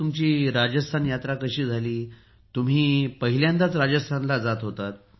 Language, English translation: Marathi, Did you go toRajasthan for the first time